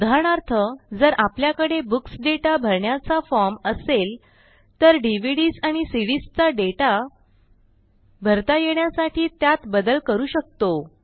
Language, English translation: Marathi, For example, if we had a form to enter books data, we can modify it to allow data entry for DVDs and CDs also